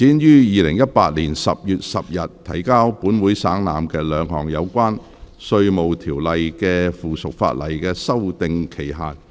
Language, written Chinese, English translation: Cantonese, 第二項議案：延展於2018年10月10日提交本會省覽，兩項有關《稅務條例》的附屬法例的修訂期限。, Second motion To extend the period for amending two items of subsidiary legislation in relation to the Inland Revenue Ordinance which were laid on the Table of this Council on 10 October 2018